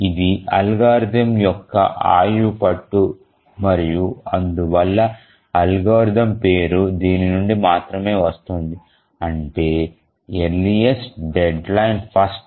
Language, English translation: Telugu, So, this is the crux of the algorithm and the name of the algorithm comes from here earliest deadline first